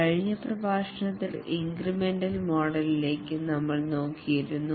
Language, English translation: Malayalam, In the last lecture we looked at the incremental model